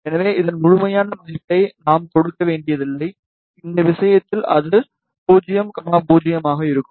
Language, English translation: Tamil, So, we need not to give the absolute value of this, it will be 0, 0 in this case